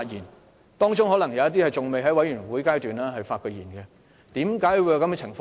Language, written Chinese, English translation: Cantonese, 他們當中可能有人未曾在全體委員會發言，為何有這種情況呢？, Some of them might not even have a chance to speak in the committee of the whole Council . Why were they not allowed to speak?